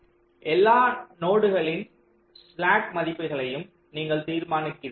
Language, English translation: Tamil, so you determine the slack values of all the nodes